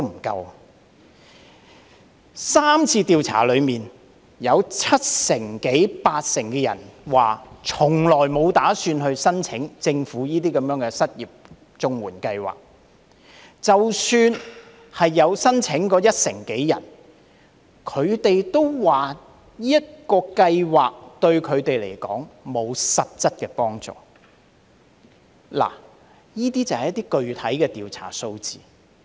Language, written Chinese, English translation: Cantonese, 在3次調查當中，有七成至八成人表示從沒打算申請政府的失業綜援計劃，而即使是有申請的約一成人，他們也說計劃對他們並沒有實質幫助，這便是一些具體的調查數字。, In the three surveys 70 % to 80 % of the respondents indicated that they had never considered applying for the unemployment assistance under CSSA offered by the Government . Even for the some 10 % of the respondents who have applied for assistance they said the scheme did not provide them with any substantial assistance . These are the specific figures from the surveys